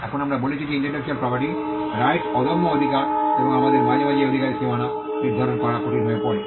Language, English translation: Bengali, Now we said that intellectual property rights are intangible rights and it is sometimes difficult for us to ascertain the contours of this right the boundaries of this right